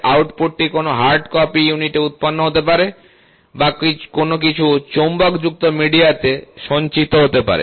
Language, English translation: Bengali, The output can be generated on a hard copy unit or stored in some magnetized media